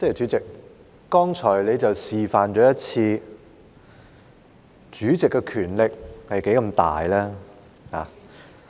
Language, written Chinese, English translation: Cantonese, 主席，你剛才示範了主席的權力是何其大。, President you have just demonstrated how extensive the Presidents power is